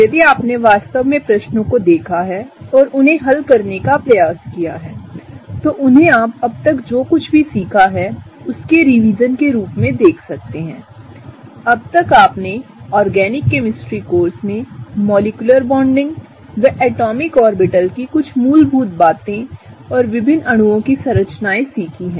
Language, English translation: Hindi, If you have really seen the questions and try to solve them, you might actually see them as a revision of what we have learnt so far or even revision of what you have learnt until now; until the organic chemistry course which is the very basics of molecular bonding, the very basics of atomic orbitals and structures of different molecules